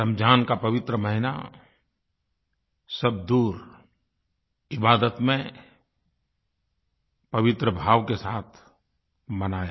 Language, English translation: Hindi, The holy month of Ramzan is observed all across, in prayer with piety